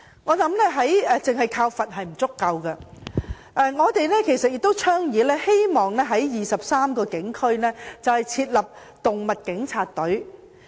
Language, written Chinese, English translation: Cantonese, 我認為單靠罰款並不足夠，我們倡議並希望在23個警區成立"動物警察"專隊。, I think relying on penalty alone is not enough . We thus propose to set up animal police teams in 23 police districts